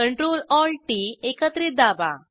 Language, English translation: Marathi, Press Control Alt T together